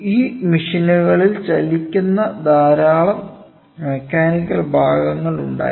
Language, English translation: Malayalam, So, and lot of these machines had lot of mechanical moving parts which had wear and tear